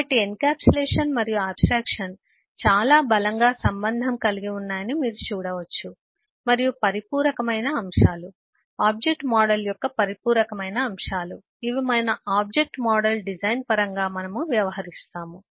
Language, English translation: Telugu, So this is so you can see that, ehhh, encapsulation and abstraction are, uh, very strongly related and complementary concepts, are complementary elements of the object model which we will deal with in terms of our object model design